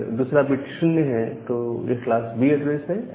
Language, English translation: Hindi, If the second bit is 0, then it is class B IP address